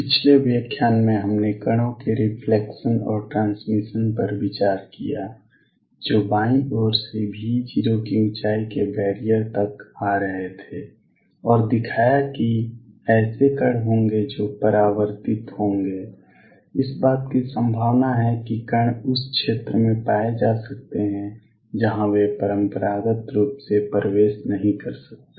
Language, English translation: Hindi, In the previous lecture we considered the reflection and transmission of particles, coming from the left to a barrier of height V 0 and showed that there will be particles that will be reflected there is a possibility that particles may be found in the region, where they cannot enter classically